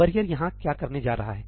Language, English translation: Hindi, What is barrier going to do here